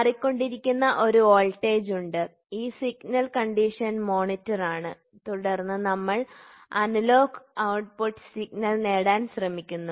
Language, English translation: Malayalam, So, there is a varying voltage which is created this signal is condition monitored and then we try to get an analogous output signal